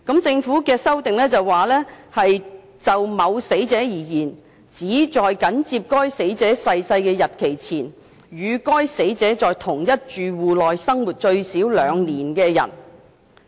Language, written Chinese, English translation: Cantonese, 政府的修正案是，就某死者而言，"相關人士"指"在緊接該死者逝世的日期前"，"與該死者在同一住戶內已生活最少2年"的人。, The Governments amendments are that in relation to a deceased person a prescribed claimant means a person who had been living with the deceased person in the same household for at least 2 years before the date of the death of the deceased person